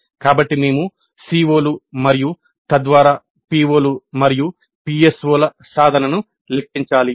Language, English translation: Telugu, So we need to compute the attainment of COs and thereby POs and PSOs